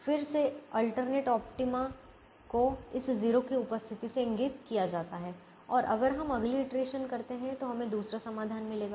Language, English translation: Hindi, again, alternate optima is indicated by the presence of this zero and if we do the next iteration we will get the other solution